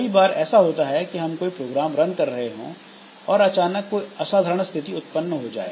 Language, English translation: Hindi, So, many times what happens is that if we are running a program and it comes across some situation which is extraordinary